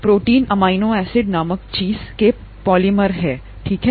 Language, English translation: Hindi, Proteins are polymers of something called amino acids, okay